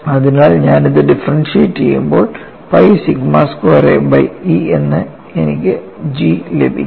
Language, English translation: Malayalam, So, when I differentiate this, I get G as pi sigma squared a divided by E